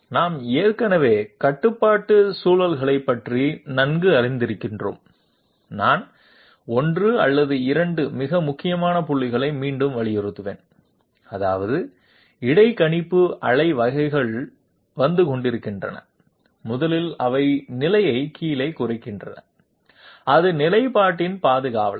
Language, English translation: Tamil, We are already conversant with the sort of you know control loops, I will just read it one or one or 2 very important points that is interpolator pulses are coming in and 1st of all they determine the position down counter, it is the custodian of the position